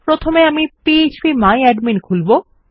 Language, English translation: Bengali, First I will open php my admin